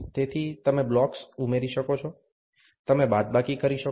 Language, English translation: Gujarati, So, you can add blocks, you can subtract